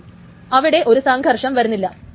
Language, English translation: Malayalam, So there is no conflict